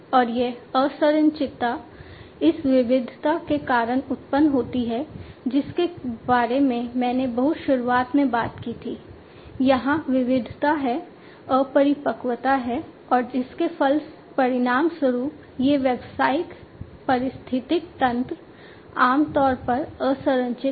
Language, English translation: Hindi, And this unstructuredness, it arises because of this diversity that I talked about at the very beginning, there is diversity, there is immaturity, and as a result of which these business ecosystems, are typically unstructured